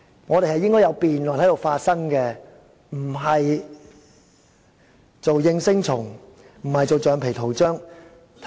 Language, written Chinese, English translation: Cantonese, 我們應該在這裏進行辯論，不是做應聲蟲，也不應做橡皮圖章。, We should hold debates in the Chamber instead of acting as yes - men or rubber stamps